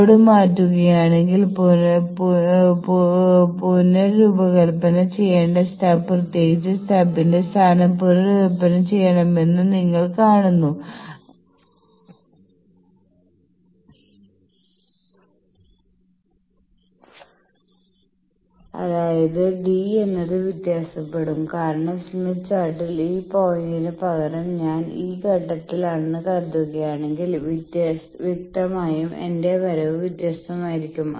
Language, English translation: Malayalam, So, you see that if the load is changed then the stub to be redesigned particularly the position of the stub is to be redesigned; that means, that d will vary because in the smith chart because in the smith chart instead of this point in the smith chart instead of this point if suppose I am at this point then; obviously, my coming here will be different